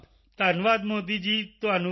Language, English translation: Punjabi, Thank you Modi ji to you too